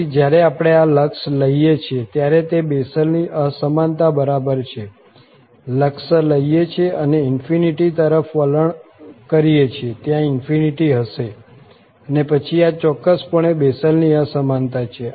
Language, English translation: Gujarati, So, when we take this limit now, it is exactly the Bessel's Inequality taking the limit and tending to infinity, we will have infinity there and then this is a precisely the Bessel's Inequality